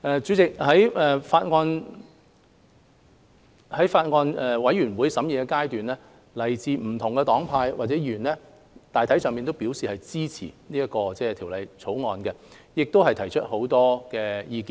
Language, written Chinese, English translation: Cantonese, 主席，在法案委員會審議階段，來自不同黨派的委員大體上支持《條例草案》，亦提出許多寶貴的意見。, President during the deliberation of the Bills Committee members from different political parties and groups supported the Bill in general and gave many valuable opinions